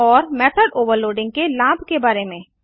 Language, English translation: Hindi, And advantage of method overloading